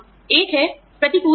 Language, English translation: Hindi, One is adverse selection